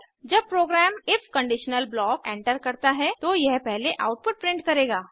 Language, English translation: Hindi, Once the program enters the if conditional block, it will first print the output